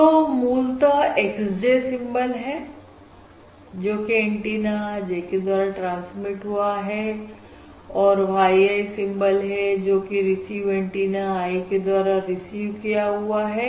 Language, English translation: Hindi, okay, So x j is basically symbol transmitted on transmit antenna j and y i is the symbol received on on receive antenna, on the receive antenna i